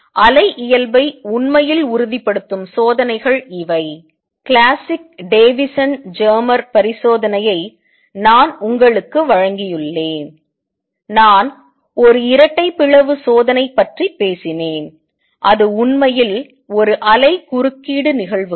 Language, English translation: Tamil, So, these are the experiments that actually confirm the wave nature I have given you the classic Davisson Germer experiment, I have talked about double slit experiment that is actually a wave interference phenomena